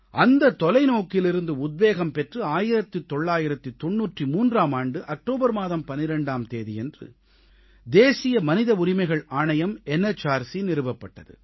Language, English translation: Tamil, Inspired by his vision, the 'National Human Rights Commission' NHRC was formed on 12th October 1993